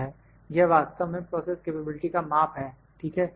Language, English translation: Hindi, This is actually the measure of the process variability ok